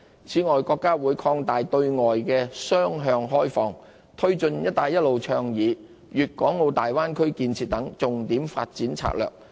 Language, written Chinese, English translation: Cantonese, 此外，國家會擴大對外雙向開放，推進"一帶一路"倡議、粵港澳大灣區建設等重點發展策略。, Moreover the State will open up more to the outside world in a two - way manner and take forward such key development strategies as the Belt and Road Initiative and the development of the Guangdong - Hong Kong - Macao Bay Area